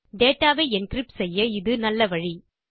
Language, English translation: Tamil, It is a very useful way of encrypting data